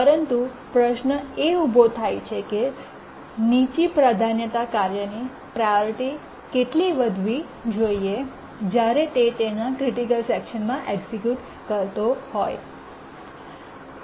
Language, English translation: Gujarati, But then by how much to raise the priority of the low priority task executing its critical section